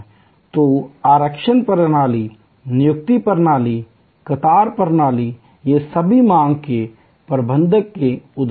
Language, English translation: Hindi, So, reservation system, appointment system, queue system these are all examples of managing demand